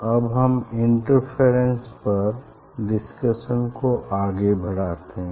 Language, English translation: Hindi, then we will continue the discussion on the interference